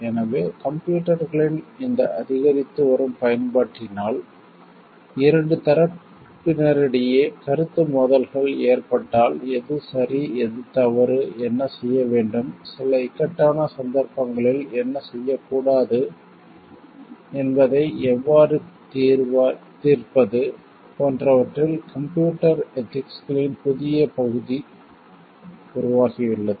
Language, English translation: Tamil, So, with this increasing use of computers, the new area of computer ethics have emerged like if there is a conflict of interest between 2 parties, then how to solve that what is right and what is wrong what should be done what should not be done in certain cases of dilemma